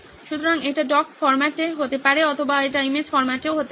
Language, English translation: Bengali, So it could be in doc format or it could even be in image format